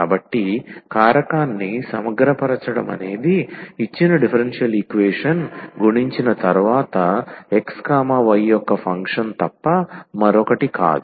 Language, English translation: Telugu, So, integrating factor is nothing but a function of x, y after multiplication to the given differential equation